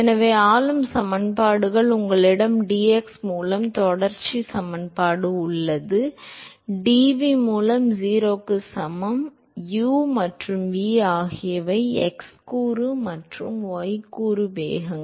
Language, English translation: Tamil, So, the governing equations are: you have continuity equation by dx, dv by dy that is equal to 0, u and v are the x component and the y component velocities